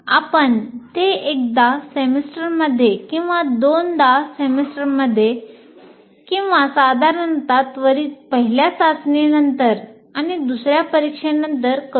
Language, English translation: Marathi, You can do it once in a semester or twice in a semester or generally immediately after the first test and immediately after the second test